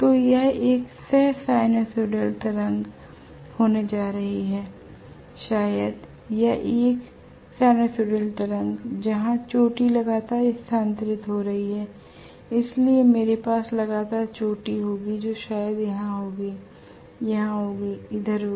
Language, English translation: Hindi, So that is going to be a co sinusoidal wave probably or a sinusoidal wave where the peak is continuously getting shifted, so I will have continuously the peak probably lying here, lying here, lying here, lying here and so on